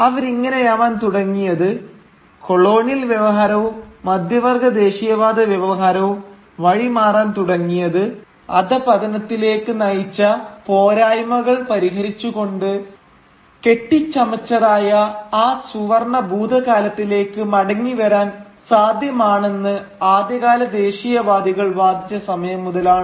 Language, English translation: Malayalam, Where they started, where the colonial discourse and the middle class nationalist discourse started diverging was the point where the early nationalists argued that it was possible to return back to that fabled golden past by rectifying the shortcomings that had led to the fall